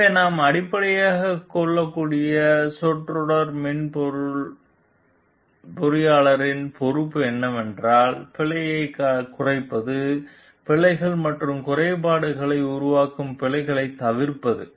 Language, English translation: Tamil, So, what we can based phrase the software engineer s responsibility is that of reducing the error, avoid errors that produce bugs and glitches